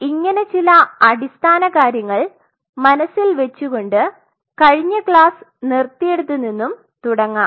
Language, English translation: Malayalam, So, keeping these some of these basic paradigms in mind let me pick up where we left in the last class